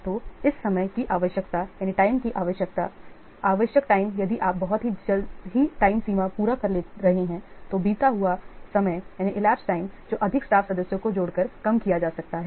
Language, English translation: Hindi, So, this time requirement, the required time, if you are meeting the deadline very soon, then the elapsed time that can be reduced by adding by hiring more staff members